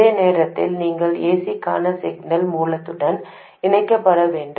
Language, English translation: Tamil, At the same time, it should also get connected to the signal source for AC